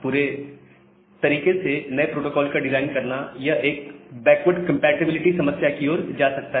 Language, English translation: Hindi, And design of a complete new protocol may lead to a problem of backward compatibility